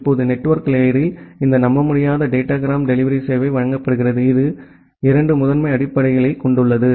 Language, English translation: Tamil, Now, in network layer this unreliable datagram delivery service, which is being provided that has 2 primary basis